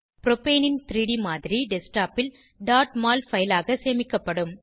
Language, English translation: Tamil, 3D model of Propane will be saved as .mol file on the Desktop